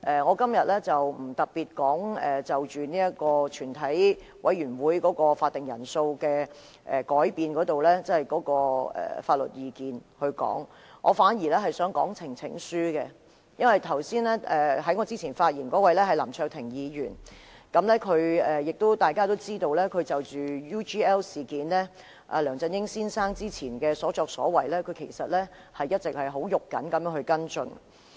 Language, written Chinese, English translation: Cantonese, 我今天不會特別就全體委員會法定人數的改變的相關法律意見發言，我反而想談論呈請書，因為在我之前發言的是林卓廷議員，大家都知道，他就着 UGL 事件及梁振英先生之前的所作所為，一直很着緊地跟進。, Today I am not going to particularly speak on the relevant legal opinion on changing the quorum of a committee of the whole Council . Instead I wish to talk about petitions since the one who spoke before me is Mr LAM Cheuk - ting . As we all know he has been following up the UGL incident and Mr LEUNG Chun - yings earlier conduct closely